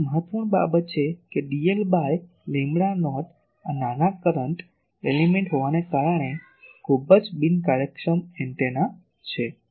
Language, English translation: Gujarati, So, this is an important thing that dl by lambda not, this size being small current element is a very inefficient antenna